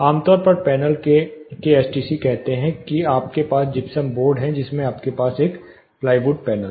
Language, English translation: Hindi, Typically STC of the panel, say you have gypsum board you have a plywood panel